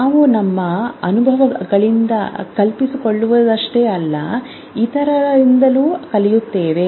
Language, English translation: Kannada, We not only learn from our experiences